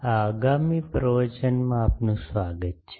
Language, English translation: Gujarati, Welcome to this next lecture